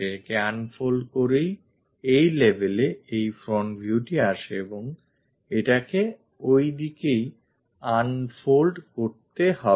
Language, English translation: Bengali, This front view comes at this level by unfolding it and this one we have to unfold it in that direction